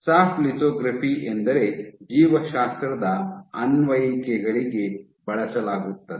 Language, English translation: Kannada, Soft lithography is what is used for biology applications ok